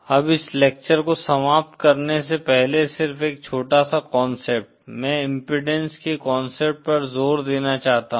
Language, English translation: Hindi, Now before ending this lecture just one small concept, I want to stress is the concept of impedance